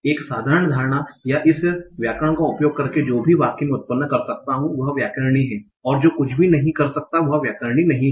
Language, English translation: Hindi, Or using this grammar, whatever sentence I can generate is grammatical, whatever I cannot is non grammatical